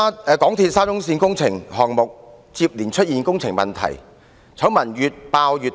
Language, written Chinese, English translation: Cantonese, "港鐵沙中線工程項目接連出現問題，醜聞越爆越大。, Problems of MTRCLs SCL Project have arisen successively with scandals exposed one after another